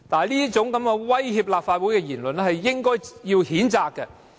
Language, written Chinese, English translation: Cantonese, 這種威脅立法會的言論，應該予以譴責。, Such threats to the Legislative Council should be condemned